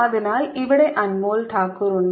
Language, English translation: Malayalam, so here is anmol takur